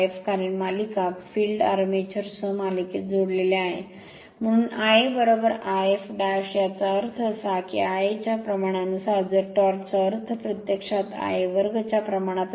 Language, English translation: Marathi, Because series field is connected in series with the armature, so I a is equal to I f; that means, if phi proportional to the I a means the torque actually proportional to I a square